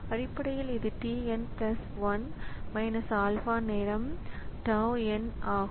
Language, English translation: Tamil, So, tau n plus 1 equal to alpha times t n